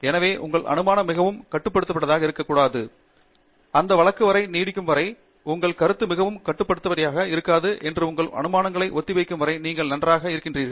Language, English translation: Tamil, So, your assumption should not be too restrictive; as long as that’s not the case, as long as that’s the case that your assumptions are not too restrictive and as long as your results are consistent with the assumptions, then you are absolutely fine